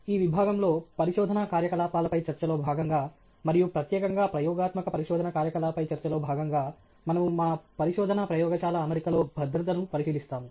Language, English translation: Telugu, In the section, as part of a discussion on research activities, and specially a part of discussion on experimental research activities, we will look at safety in our research lab setting